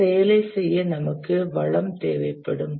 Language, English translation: Tamil, To do an activity, we must have a resource requirement